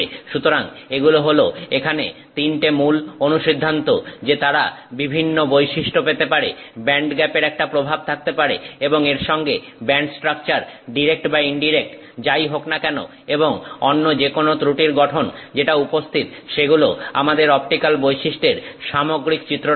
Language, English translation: Bengali, So, these three are major conclusions here that they can have different properties, the band gap can have an impact and band structure including whether it is direct, indirect and any other defect structure that is present gives us the overall picture of the optical properties